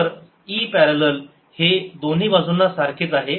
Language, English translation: Marathi, parallel is the same on both sides